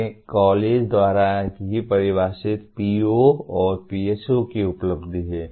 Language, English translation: Hindi, These are the accomplishment of defined POs and PSOs by the college itself